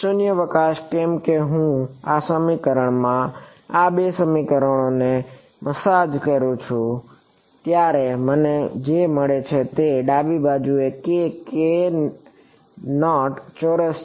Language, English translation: Gujarati, Vacuum why because when I massage these two equations into this equation what I get is a k naught squared on the left hand side